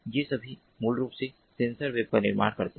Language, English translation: Hindi, so all these together form what is known as the sensor web